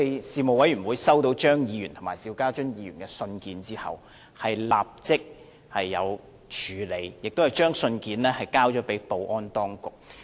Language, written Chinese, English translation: Cantonese, 事務委員會在收到張議員和邵家臻議員的來函後，已立即作出處理，並把信件轉交保安當局。, Upon receiving the joint letter from Dr Fernando CHEUNG and Mr SHIU Ka - chun the Panel responded promptly and forwarded the letter to the security authorities